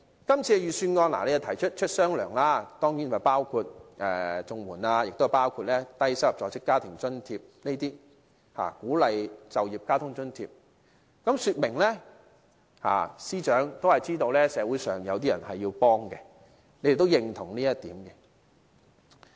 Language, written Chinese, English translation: Cantonese, 今次的預算案提出"出雙糧"，包括綜援，亦包括低收入在職家庭津貼、鼓勵就業交通津貼，說明司長都知道社會上有人需要幫助，他亦認同這一點。, The Budget this year proposes providing one additional month of CSSA LIFA and the Work Incentive Transport Subsidy WITS payments . This shows that the Financial Secretary is aware and recognizes that there are some people in need of assistance in society